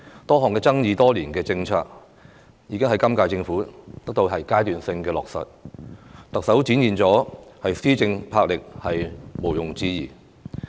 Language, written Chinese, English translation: Cantonese, 多項爭議多年的政策，也在今屆政府得到階段性落實，特首展現的施政魄力毋庸置疑。, A number of policies disputed over years have been implemented in a phased manner by the current - term Government . The Chief Executive has undoubtedly demonstrated great boldness in her administration